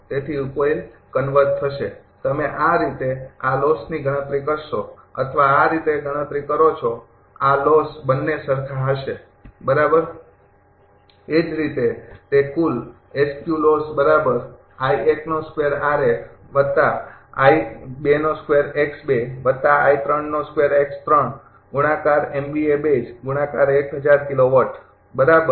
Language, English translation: Gujarati, So, in solution will converge, you will find the calculating these way this loss or calculating these way this loss both will be same identical right